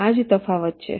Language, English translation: Gujarati, this is what is the difference